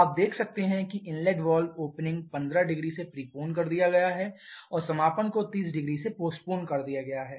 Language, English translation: Hindi, You can see the inlet valve opening has been preponed by 15 degree and is closing by 30 degree it has been postponed by 30 degree